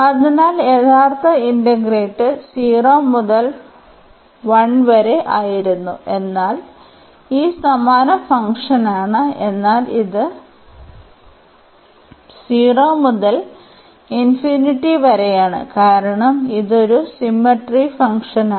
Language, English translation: Malayalam, So, in the original integrate was 0 to 1, but this is also the same function, but having this 0 to infinity now, into the picture or we can because this is a symmetric function